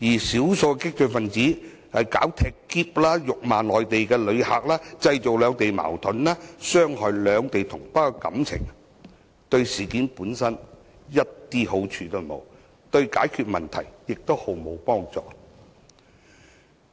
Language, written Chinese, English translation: Cantonese, 少數激進分子"踢喼"或辱罵內地旅客，製造兩地矛盾，傷害兩地同胞感情，對事件一點好處都沒有，對解決問題亦毫無幫助。, A few radicals acts of kicking suitcases or hurling abuses at Mainland visitors would only create Mainland - Hong Kong conflicts and hurt the feelings of compatriots without bringing any benefits to resolving the problem